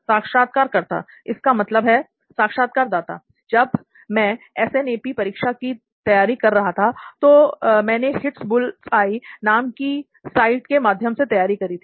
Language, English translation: Hindi, Do you think that comes to… So while I was preparing for my SNAP exam, so I had prepared through the site known as the ‘Hitbullseye’